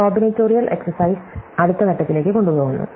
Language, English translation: Malayalam, So, taking the combinatorial exercise to the next step